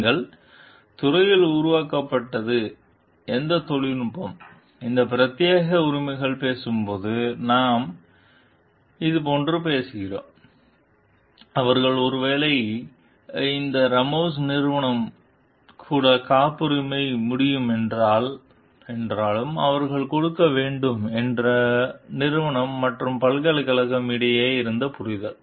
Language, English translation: Tamil, When you are talking of these exclusive rights of any technology developed in the field, we are talking of like, they will give them maybe though they this Ramos s company will be able to patent it also because that is the understanding between the company and the like university